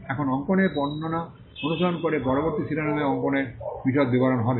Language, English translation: Bengali, Now, following the description of drawing, the next heading will be detailed description of the drawing